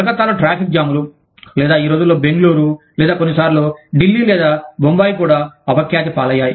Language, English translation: Telugu, Traffic jams in Calcutta, or these days, even Bangalore, or sometimes, even Delhi, or Bombay, are notorious